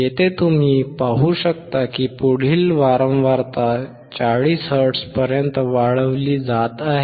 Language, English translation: Marathi, Here you can see the next one is increasing to 40 hertz